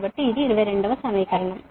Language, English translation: Telugu, so this is equation twenty